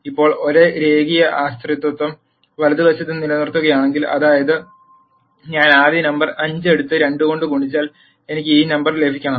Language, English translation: Malayalam, Now if the same linear dependence is maintained on the right hand side; that is if I take the first number 5 and multiply it by 2 I should get this number